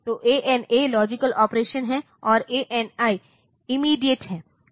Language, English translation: Hindi, So, ANA is the logical and operation ANI is and immediate